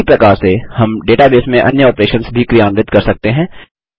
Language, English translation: Hindi, In a similar manner, we can perform other operations in the database too